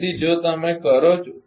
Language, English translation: Gujarati, So, if you do